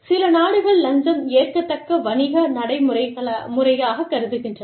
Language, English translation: Tamil, Some countries, consider bribery, to be an acceptable business practice